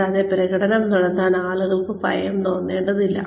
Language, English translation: Malayalam, And, people should not feel scared to perform